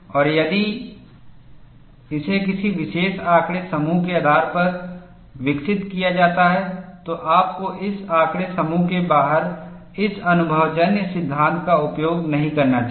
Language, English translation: Hindi, And if it is developed based on a particular data set, you should not use this empirical law outside this data set